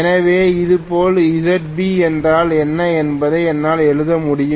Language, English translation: Tamil, So similarly, I should be able to write what is ZB